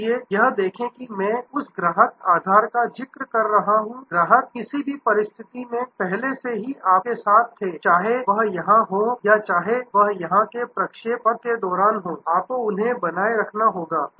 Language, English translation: Hindi, So, see continuously I am referring to that customer base the customers were already with you under any situation, whether it is here or whether it is here are across the trajectory you will have to retain them